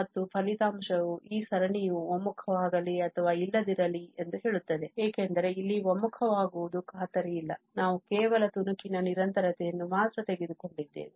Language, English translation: Kannada, And, the result says that even no matter whether this series converges or not because here the convergence is not guaranteed we have taken only piecewise continuity